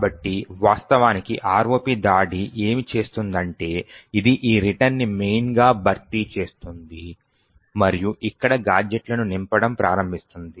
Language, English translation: Telugu, So, what an ROP attack actually does, is that it replaces this return to main and starts filling in gadgets over here